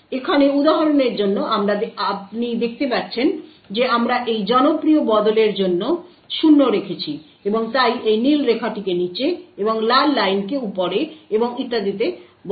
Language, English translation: Bengali, So over here for the example you see that we have poured 0 for this particular switch and therefore it switches the blue line to the bottom and the Red Line on top and so on